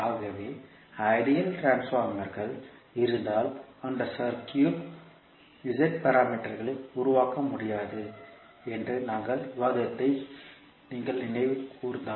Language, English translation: Tamil, So, if you recollect that we discussed that in case of ideal transformers we cannot create the z parameters for that circuit